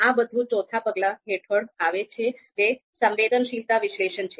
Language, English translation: Gujarati, So that all this comes under sensitivity analysis